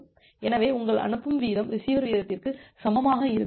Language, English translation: Tamil, So, earlier your sending rate was equal to the receiver rate